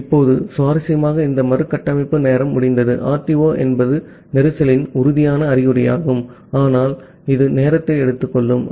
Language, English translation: Tamil, Now, interestingly this retransmission timeout RTO is a sure indication of congestion, but it is time consuming